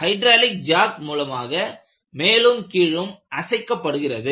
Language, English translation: Tamil, They were moved up and down by hydraulic jacks